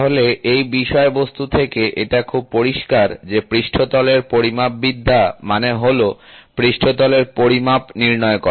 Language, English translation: Bengali, So, it is very clear from the topic itself surface metrology means, measuring the surface